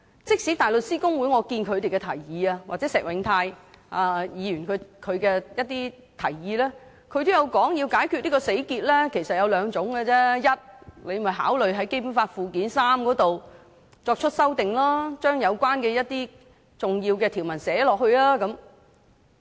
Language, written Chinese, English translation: Cantonese, 即使是香港大律師公會的提議——或石永泰的提議——也指出，要解開這個死結其實只有兩種做法：第一，考慮透過《基本法》附件三作出修訂，把有關的重要條文寫進去。, Even the proposal put forward by HKBA―or Mr Paul SHIEHs proposal―also pointed out that there are only two ways to untie this fast knot The first is to consider incorporating the relevant important provisions into Annex III of the Basic Law by making amendments to it